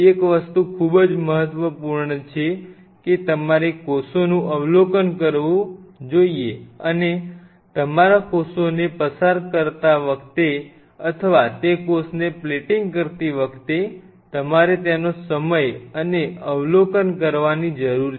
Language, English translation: Gujarati, One thing is very critical you have to observe the cells and as your passaging the cell or your plating that cell you need to observe the cell time and again